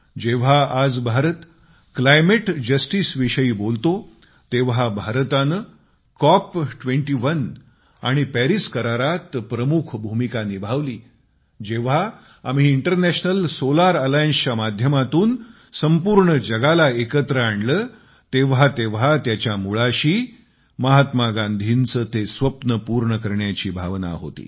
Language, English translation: Marathi, Today when India speaks of climate justice or plays a major role in the Cop21 and Paris agreements or when we unite the whole world through the medium of International Solar Alliance, they all are rooted in fulfilling that very dream of Mahatma Gandhi